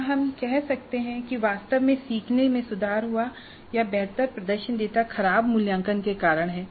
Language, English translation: Hindi, Can we say that actually the learning has improved or is the improved performance data because of poorer assessments